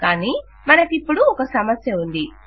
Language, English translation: Telugu, But now weve a problem